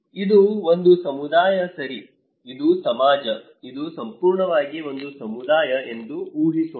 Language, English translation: Kannada, Let us imagine that this is a community okay, this is a society, this in entirely a one community